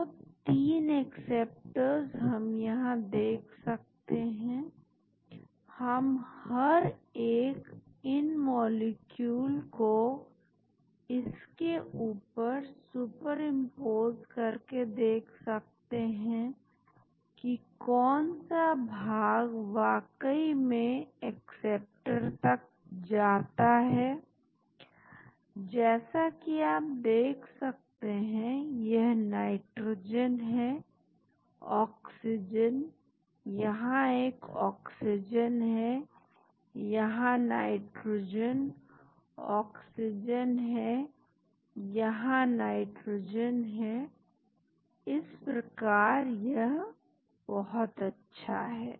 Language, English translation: Hindi, So, 3 acceptors we can see, we can super impose each one of these molecule on this to see which portions actually continue to the acceptor as you can see here there is nitrogen, oxygen, there is an oxygen, there is nitrogen, oxygen, there is nitrogen so it is very nice